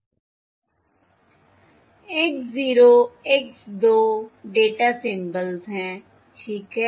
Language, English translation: Hindi, alright, X 0 X 2 are the data symbols